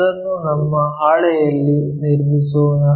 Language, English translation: Kannada, Let us construct that on our sheet